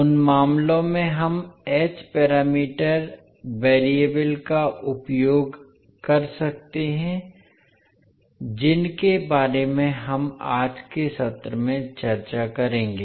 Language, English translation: Hindi, So in those cases we can use the h parameter variables which we will discuss in today's session